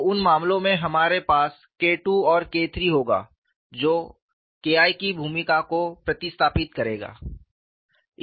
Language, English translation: Hindi, So, in those cases we will have K 2 and K 3 replacing the role of K 1